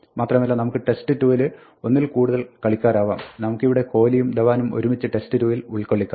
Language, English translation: Malayalam, And we can have more than one player in test 2 like we have here; we have both Kohli and Dhawan this one